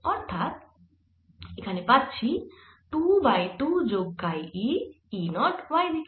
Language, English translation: Bengali, so this comes out to be two over two plus chi e, e zero in the y direction